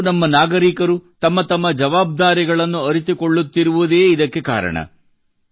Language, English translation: Kannada, This is because, today every citizen of ours is realising one's duties